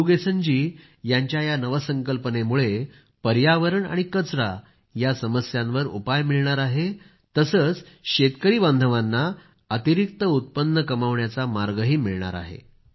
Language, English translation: Marathi, This innovation of Murugesan ji will solve the issues of environment and filth too, and will also pave the way for additional income for the farmers